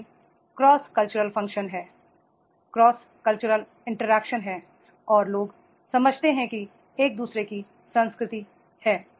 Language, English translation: Hindi, So cross cultural functions are there, cross culture interactions are there and the people understand each other's culture is there